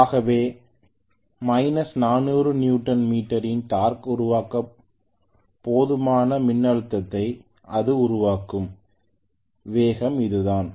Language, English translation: Tamil, So that is the speed at which it will generate a voltage sufficient enough to create a torque of minus 400 Newton meter, that is what it means